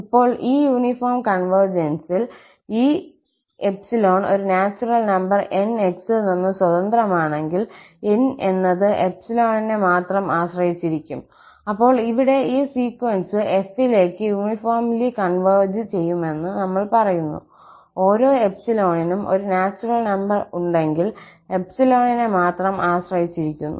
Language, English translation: Malayalam, Now, in the uniform convergence, if there exist a natural number N free from this x, so, N must depend only on epsilon, then, we say that this sequence here converges uniformly to f, if for each epsilon there is a natural number N which depends on epsilon only